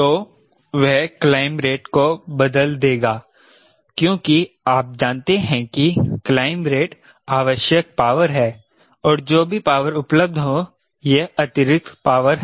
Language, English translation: Hindi, so that will change the rate of climb because you know rate of climb is this is the power required and whatever power available this is excess power